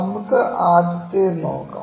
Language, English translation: Malayalam, Let us look at the first one